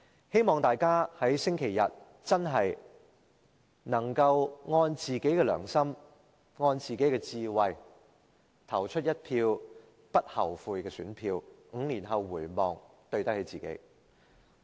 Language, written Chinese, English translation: Cantonese, 希望大家在星期日真的能按自己的良心和智慧，投出一票不後悔的選票 ，5 年後回望，對得起自己。, I hope that Members will on that day on the basis of their conscience and wisdom cast a vote which they will not regret so that when they look back five years later they have not failed themselves